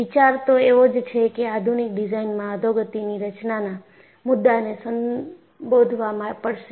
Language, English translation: Gujarati, So, the idea is, the modern design will have to address the issue of degradation mechanisms